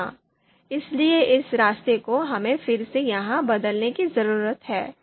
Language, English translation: Hindi, Yeah, so this path we need to change here again